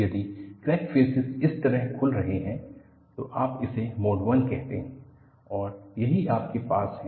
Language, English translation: Hindi, If the crack phases open up like this, you call it as mode 1 and this is what you have here